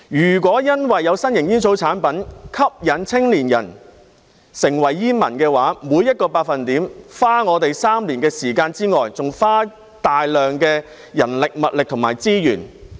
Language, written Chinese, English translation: Cantonese, 如果因為有新型煙草產品吸引青年人成為煙民，除了每減少 1% 便要花3年的時間外，還要花大量的人力物力和資源。, If young people become smokers because of the appeal of novel tobacco products a large amount of manpower and resources will be needed apart from three years of time for the reduction of every 1 % of smokers